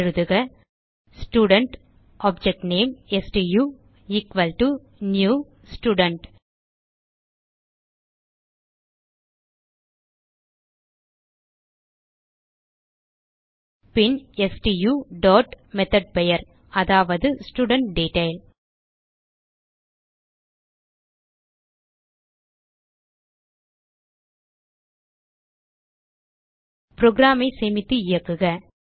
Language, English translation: Tamil, So type Student object name stu equal to new Student Then stu dot method name i.estudentDetail Save and Run the program